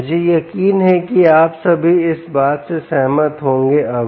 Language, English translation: Hindi, i am sure you will all agree to this point